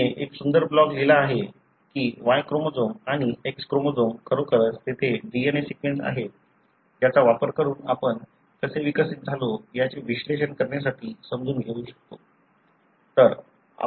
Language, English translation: Marathi, She has written a beautiful blog on how Y chromosomes and X chromosomes really the DNA sequence there we can use to analyze and understand how we evolved